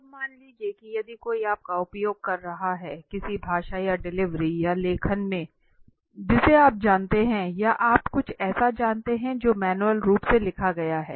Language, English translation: Hindi, Now suppose if somebody is using you know in a speech or a delivery or a writing you know in a exhibit or you know something that has been written manually